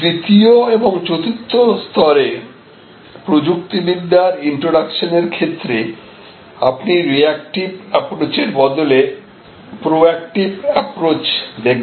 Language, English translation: Bengali, In introduction of new technology in these the 3rd and 4th level, you see a proactive approach rather than a reactive approach to technology